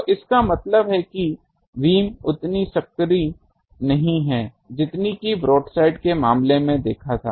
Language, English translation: Hindi, So that means, the beam is not as narrow as the case was for broadside